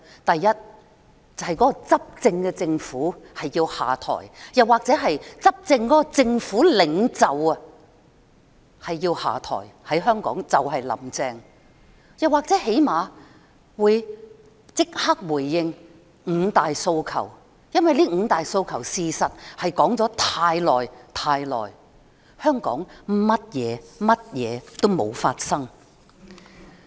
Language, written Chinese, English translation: Cantonese, 第一，執政政府或其領袖下台，就香港而言就是"林鄭"下台，又或是至少立即回應五大訴求，因為這五大訴求的確說了太久，香港甚麼也沒有發生。, First the ruling government or its leader should resign . In the case of Hong Kong it is Carrie LAM who should resign or at least immediately respond to the five demands because these five demands have indeed been around for too long and nothing has happened to Hong Kong